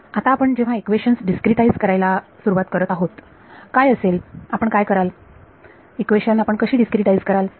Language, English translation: Marathi, Now, when we begin to discretize these equations, what is what would you do, how would you discretize these equations